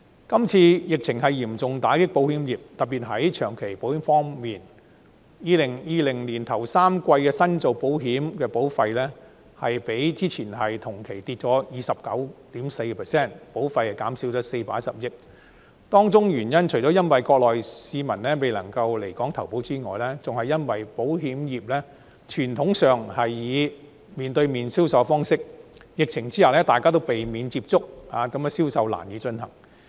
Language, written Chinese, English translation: Cantonese, 這次疫情嚴重打擊保險業，特別在長期保險方面 ，2020 年首3季新做保險的保費，比之前同期下跌了 29.4%， 保費減少了410億元，當中除了因為國內市民未能來港投保外，更因為保險業傳統上採取面對面的銷售方式；疫情之下大家都避免接觸，令銷售難以進行。, The current pandemic has dealt a severe blow to the insurance industry particularly in the case of long - term insurance business where new office premiums in the first three quarters of 2020 fell by 29.4 % over the corresponding period in 2019 amounting to a decrease of 41 billion . This is not only because Mainland people are unable to come to Hong Kong to take out insurance but also more pointedly because the insurance industry has traditionally adopted a face - to - face sales approach with which sales are difficult to come by when people avoid contact with each other amid the pandemic